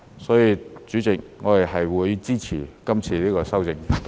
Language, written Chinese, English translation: Cantonese, 所以，主席，我們會支持這項修正案。, Therefore Chairman we will support the amendment